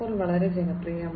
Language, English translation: Malayalam, 0 has become very popular